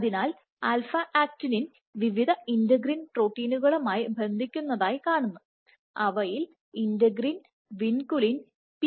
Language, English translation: Malayalam, So, alpha actinin has been shown to bind to various integrins proteins including integrins